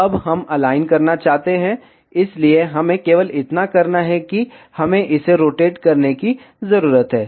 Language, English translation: Hindi, Now we want to align, so all we need to do is we need to just rotate it